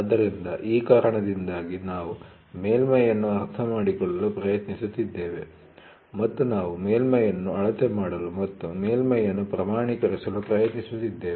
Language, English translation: Kannada, So, because of this we are trying to understand the surface and we are trying to measure a surface and quantify a surface